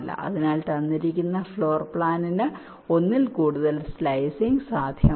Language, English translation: Malayalam, so for a given floor plan there can be more than one slicing trees possible